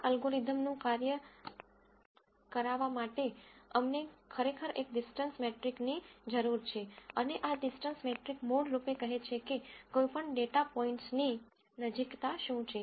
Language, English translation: Gujarati, We really need a distance metric for this algorithm to work and this distance metric would basically say what is the proximity between any two data points